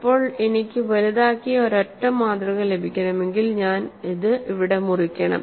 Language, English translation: Malayalam, Now, if I have to get a single enlarged specimen, I have to cut it here